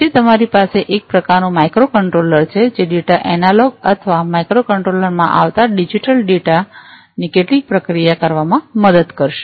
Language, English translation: Gujarati, Then you have some kind of a micro controller, which will help in doing some processing of the data the analog or the digital data that comes in to the micro controller